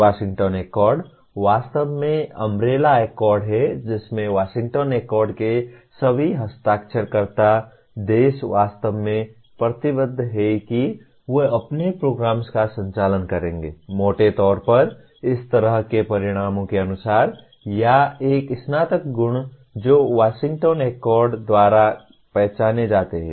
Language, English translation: Hindi, Washington Accord is really the umbrella accord wherein all the signatory countries to the Washington Accord are actually committing that they will be conducting their programs; broadly as per the kind of outcomes or a Graduate Attributes that are identified by Washington Accord